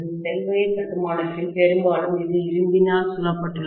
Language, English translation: Tamil, Whereas in shell type construction, mostly it is surrounded by iron